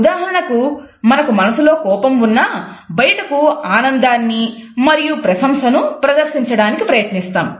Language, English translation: Telugu, For example, we may feel angry inside, but on the face we want to show our pleasure and appreciation